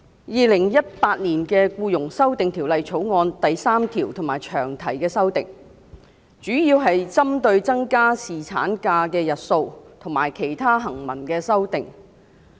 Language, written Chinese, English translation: Cantonese, 《2018年僱傭條例草案》第3條及詳題的修訂，主要是針對增加侍產假日數及其他行文的修訂。, The Employment Amendment Bill 2018 the Bill as indicated by its long title and section 3 mainly seeks to extend the duration of paternity leave and to make other textual amendments